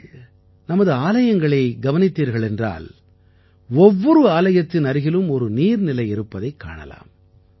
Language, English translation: Tamil, If you take a look at our temples, you will find that every temple has a pond in the vicinity